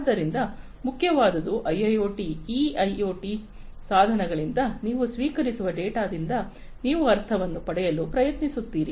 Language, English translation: Kannada, So, what is important is that you try to gain meaning out of the data that you receive from these IoT devices in IIoT, right